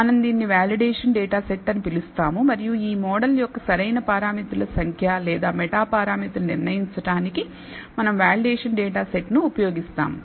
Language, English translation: Telugu, We call this the validation data set and we use the validation data set in order to decide the optimal number of parameters or meta parameters of this model